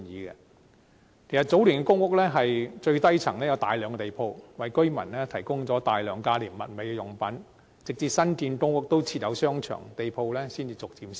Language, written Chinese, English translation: Cantonese, 其實早年的公屋的最低層有大量地鋪，為居民提供大量價廉物美的用品，直至新建的公屋附設商場，地鋪才逐漸消失。, In fact in the early years there were a large number of shops on the ground floor in public housing blocks providing the residents with plenty of affordable commodities . It was not until the new public housing estates were built with shopping arcades that such ground floor shops gradually disappeared